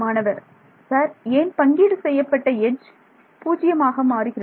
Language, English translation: Tamil, Sir why for shared edge become 0